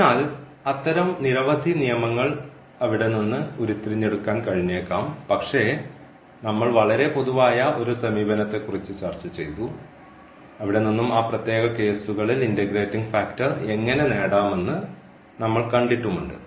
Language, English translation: Malayalam, So, there are many more such rules can be derived from there, but what we have discussed a very general approach and from there also we have at least seen how to get the integrating factor in those special cases